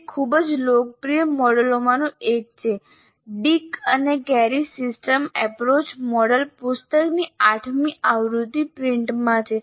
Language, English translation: Gujarati, And the eighth edition of that book, like Dick and Carey Systems Approach model, is in print